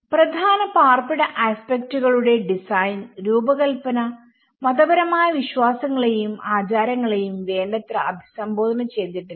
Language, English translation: Malayalam, The design of the core dwelling aspects were not sufficiently address the religious beliefs and customs